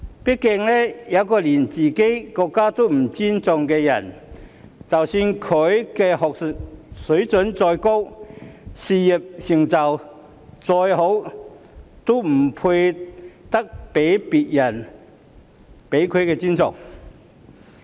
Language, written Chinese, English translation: Cantonese, 畢竟一個連自己國家也不尊重的人，即使他的學術水準再高，事業成就再好，也不配得到別人的尊重。, After all people who do not even respect their own country however remarkable their academic levels and career achievements are do not deserve others respect